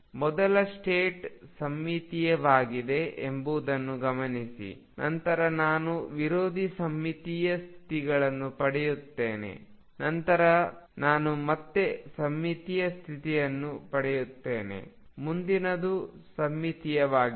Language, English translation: Kannada, Notice that the first state is symmetric, then I get an anti symmetric state, then I get a symmetric state again, next one will be anti symmetric